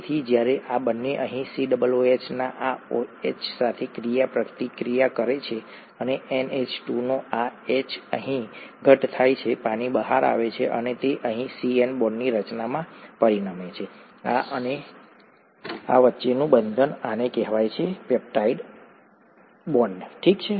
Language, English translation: Gujarati, So when these two interact this OH of the COOH here, and this H of the NH2 here, condense out, the water comes out and it results in the formation of the CN bond here, the bond between this and this, this is called the peptide bond, okay